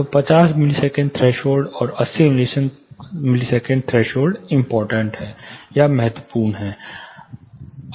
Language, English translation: Hindi, So, 50 milliseconds threshold, and 80 milliseconds threshold are important